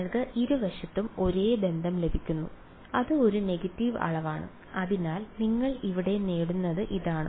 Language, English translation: Malayalam, You get the same relation on both sides and it is a negative quantity right, so that is what you get over here alright